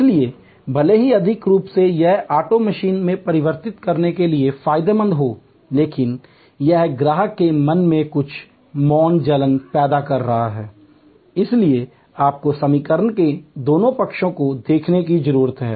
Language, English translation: Hindi, So, even though economically it may be beneficial to convert to auto machine, but it may create some silent irritation in customer's mind and therefore, you need to look at both sides of the equation